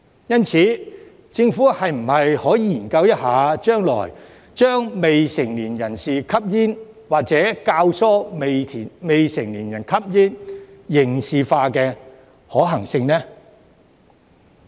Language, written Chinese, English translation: Cantonese, 因此，政府將來是否可以研究將未成年人士吸煙，或者教唆未成年人士吸煙刑事化的可行性呢？, Therefore can the Government study the feasibility of criminalizing underage smoking or abetting minors to smoke in the future?